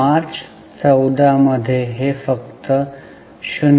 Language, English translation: Marathi, This is for the March 14